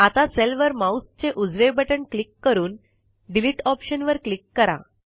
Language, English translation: Marathi, Now right click on the cell and click on the Delete option